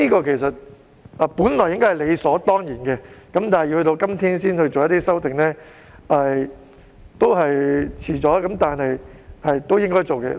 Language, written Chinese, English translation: Cantonese, 其實，這本應是理所當然的事情，但卻要到今天才能夠提出修訂，其實也是遲了，但終歸也是應該要做的事情。, Actually that is absolutely right but the amendment has not been made until today it is long overdue this is something that ought to be done